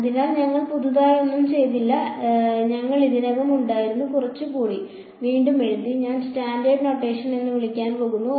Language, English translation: Malayalam, So, we did not do anything new, we just re wrote what we already had in a little bit more what I am going to call the standard notation